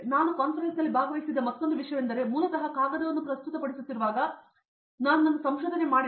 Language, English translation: Kannada, Another thing that I felt in conference was like when you are presenting a paper basically I went in and I made my research